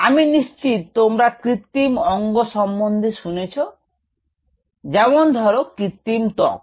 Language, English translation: Bengali, i am sure you would have heard of artificial organs